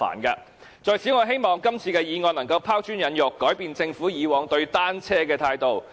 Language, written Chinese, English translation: Cantonese, 我在此希望今次的議案能夠拋磚引玉，改變政府以往對單車的態度。, I hope that todays motion can initiate some momentum to change the past Governments old attitude towards bicycles